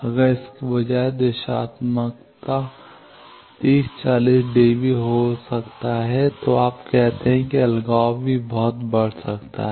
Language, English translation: Hindi, If directivity instead could have been 30 40 db you say isolation also could have been increased a lot